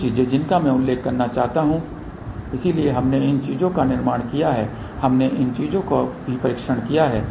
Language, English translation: Hindi, A few things I want to mention , so we have manufactured these things we tested these things also